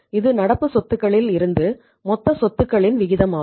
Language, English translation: Tamil, So what is the extent of current asset to total assets right